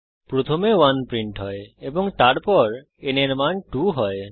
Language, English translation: Bengali, First, the value 1 is printed and then n becomes 2